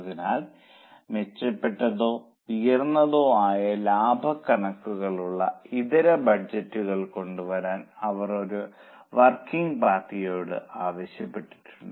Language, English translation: Malayalam, So, they have asked a working party to come up with alternate budgets with better or higher profit figures